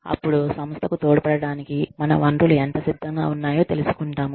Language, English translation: Telugu, Then, we find out, how prepared our resources are, to contribute to the organization